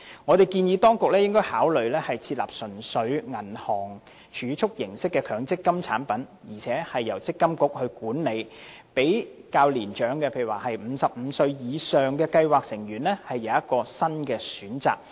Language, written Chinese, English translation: Cantonese, 我們建議當局應該考慮設立純屬銀行儲蓄形式的強積金產品，並由積金局管理，讓較年長如55歲或以上的計劃成員有一項新的選擇。, We propose that the authorities should consider introducing MPF products resembling bank deposits completely . To be managed by MPFA these products will provide a new choice for elderly MPF scheme members such as those at or over 55 years of age